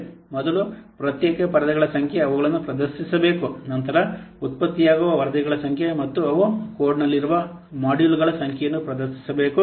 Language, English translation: Kannada, First, the number of separate screens they are displayed, then the number of reports that are produced and the number of modules they are present in the code